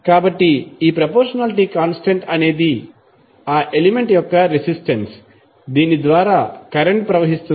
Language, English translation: Telugu, So, this proportionality constant was the resistance of that element through which the current is flowing